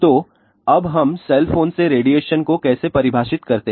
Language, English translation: Hindi, So, now, how do we define a radiation from cell phone